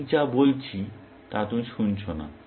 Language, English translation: Bengali, You are not listening to what I am saying